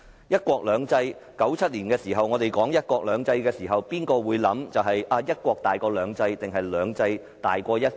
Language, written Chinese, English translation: Cantonese, 1997年我們說"一國兩制"時，誰會考慮"一國"大於"兩制"，還是"兩制"大於"一國"？, In 1997 when we talked about one country two systems who would have considered whether one country was more important than two systems or the other way round?